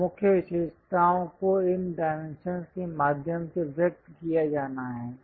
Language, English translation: Hindi, So, main features has to be conveyed through these dimensions